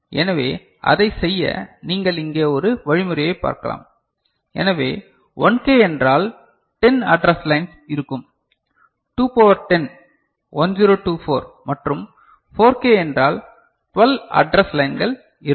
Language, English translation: Tamil, So, to do that one mechanism that you can see over here; so, 1K means 10 address lines will be there, 2 to the power 10 is 1024, and 4K means 12 address lines will be there